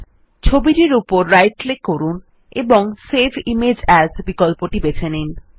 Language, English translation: Bengali, Now right click on the image and choose the Save Image As option